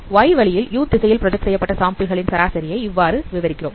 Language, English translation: Tamil, So you can see that this is what is the projected sample of x along the direction u